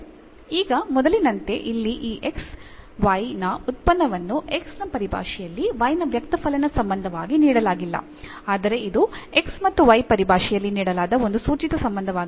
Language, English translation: Kannada, Now from the earlier one here, the function of this x y is given not the as a explicit relation of y in terms of x is given, but it is an implicit relation here given in terms of x and y